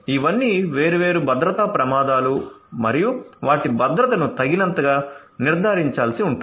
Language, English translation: Telugu, So, all of these are different security risks and the their security will have to be ensured adequately